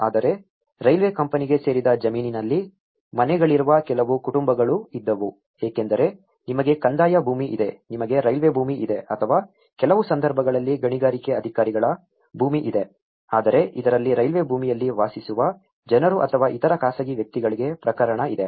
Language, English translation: Kannada, But, there were also some families whose houses are located on a land that belonged to a railway company because you know, you have the revenue land, you have the railway land or in some cases you have the mining authorities land, so but in this case the people who are residing on the railway land so or to other private individuals